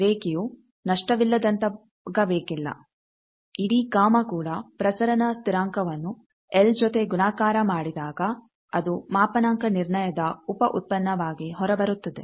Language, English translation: Kannada, The line need not be lossless also the whole gamma; that means, the propagation constant into L that thing comes out of as a byproduct of the calibration